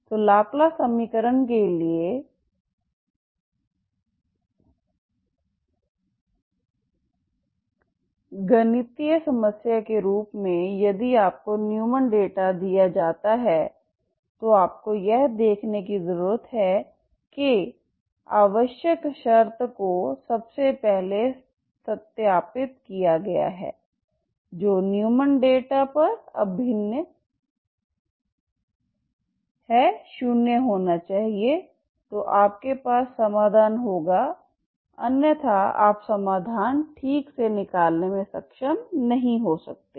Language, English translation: Hindi, So as a mathematical problem for the laplace equation if you are given a Neumann data so what you need to see is that necessary condition it has you have to verify first of all, the boundary data Neumann data should be that integral has to be 0 then you will have a solution otherwise you may not be able to work out the solution okay